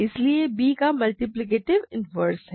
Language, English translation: Hindi, So, b has a multiplicative inverse